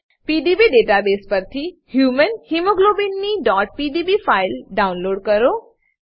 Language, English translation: Gujarati, * Download the .pdb file of Human Hemoglobin from PDB database